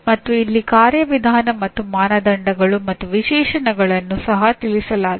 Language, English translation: Kannada, And here Procedural and Criteria and Specifications are also addressed